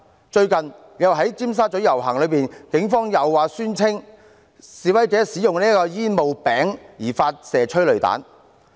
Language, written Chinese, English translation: Cantonese, 在最近的尖沙咀遊行，警方又宣稱因為示威者使用煙霧餅而發射催淚彈。, During a recent procession in Tsim Sha Tsui the Police fired tear gas rounds claiming that protesters had hurled smoke bombs